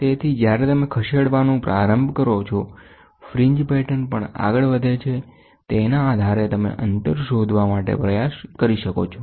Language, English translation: Gujarati, So, as and when you start moving, the fringe patterns also move based on this you can try to find out the distance